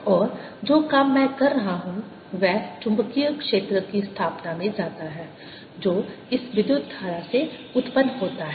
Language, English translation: Hindi, and that work that i am doing goes into establishing the magnetic field which arises out of this current